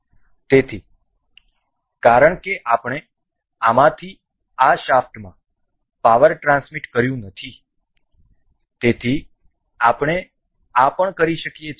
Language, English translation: Gujarati, So, because we have not transmitted power from this to this shaft, we can also do this